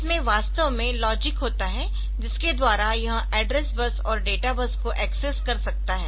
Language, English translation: Hindi, So, this actually point containing the logic by which it can access the bus that is the address bus, data bus and all that